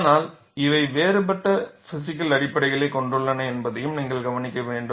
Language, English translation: Tamil, But you will also have to note, that these have different physical basis